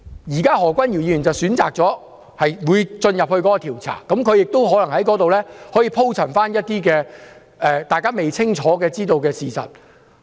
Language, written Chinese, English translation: Cantonese, 現時何君堯議員選擇接受調查，他亦可能在調查時鋪陳一些大家未清楚知道的事實。, Now that Dr Junius HO has chosen to be investigated he may lay out some little - known facts as well during the investigation